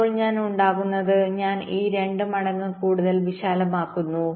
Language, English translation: Malayalam, now, what i make, i make it wider, say by two times